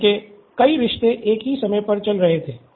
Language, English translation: Hindi, He had many relationships going on at the same time